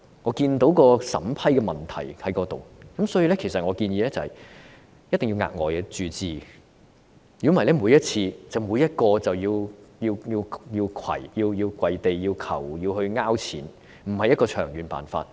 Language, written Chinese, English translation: Cantonese, 我看到審批機制出現了問題，所以我建議一定要額外注資，否則每位病人每次申請援助時也要下跪祈求資助，這不是長遠的辦法。, I found problems with the approval mechanism so I suggest that an additional capital injection is essential otherwise every patient will have to kneel down to beg for subsidy in every application for assistance which is not a long - term solution